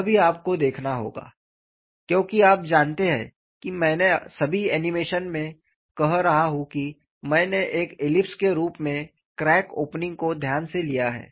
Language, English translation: Hindi, That is also you have to look at, because you know I have been saying in all my animations I have taken carefully the crack opening as an ellipse